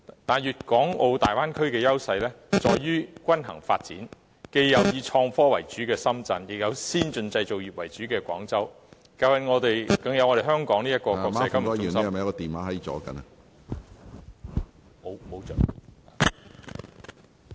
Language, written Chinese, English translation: Cantonese, 但是，大灣區的優勢在於均衡發展，既有以創科為主的深圳，亦有先進製造業為主的廣州，更有我們香港這個金融中心......, The Bay Area is known for its balanced development with Shenzhen majoring in innovative technology Guangzhou majoring in advanced manufacturing industries and Hong Kong playing the role of a financial centre